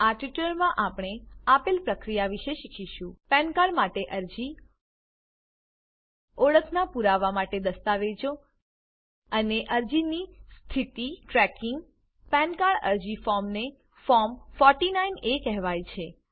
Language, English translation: Gujarati, In this tutorial we will learn the process of Applying for a PAN Card Documents for proof of identity Tracking the status of the application The Pan card application form is called Form 49A